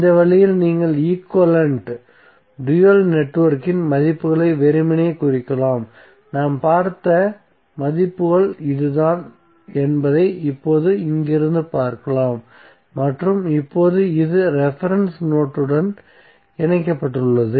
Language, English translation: Tamil, So in this way you can simply represent the values of the equivalent, dual network, so what we have discuss you can simply see from here that this are the values which we have seen and now this are connected to the reference node